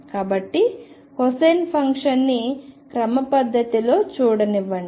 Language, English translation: Telugu, So, this is the cosine function let me just show it schematically